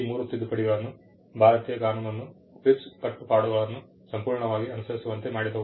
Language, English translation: Kannada, These three sets of amendment brought the Indian law in complete compliance with the TRIPS obligations